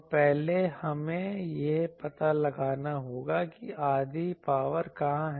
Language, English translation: Hindi, So, first we will have to find where is the half power occurring